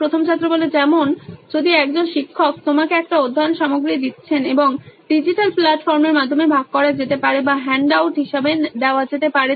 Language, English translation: Bengali, As in if a teacher is giving you a study material and it can either be shared via digital platform or given as a handout